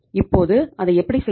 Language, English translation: Tamil, Now how to do it